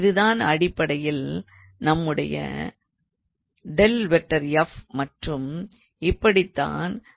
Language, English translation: Tamil, So, now this is basically our gradient of f that is how we defined the gradient of f